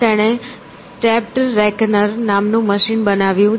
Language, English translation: Gujarati, And, he build this machine called the stepped reckoner